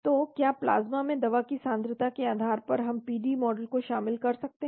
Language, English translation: Hindi, So what based on the concentration of the drug in the plasma we can incorporate the PD model